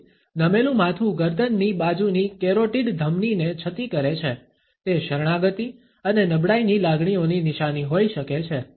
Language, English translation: Gujarati, So, the tilted head exposes the carotid artery on the side of the neck, it may be a sign of submission and feelings of vulnerability